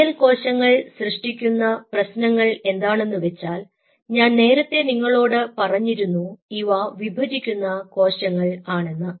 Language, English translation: Malayalam, the different set of problems is these glial cells are, i told you in the previously, these are dividing cells